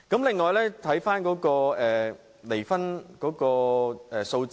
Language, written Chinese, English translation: Cantonese, 此外，我們看看離婚數字。, Besides let us look at the figures of divorce cases